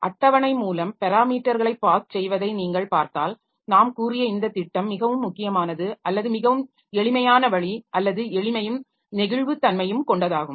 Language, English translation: Tamil, So, if you look into this parameter passing via table, so if you look into this parameter passing via table, so this is the strategy that we said is very important or very one of the simplest way or simplest at the same time it has got flexibility